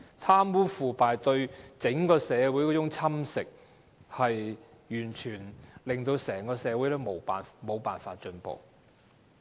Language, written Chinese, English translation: Cantonese, 貪污腐敗侵蝕整個社會，令社會完全無法進步。, Corruption corrodes the whole society making social progress completely impossible